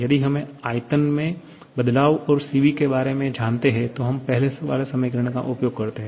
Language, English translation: Hindi, If we know the change in volume and information about the Cv then we use the first one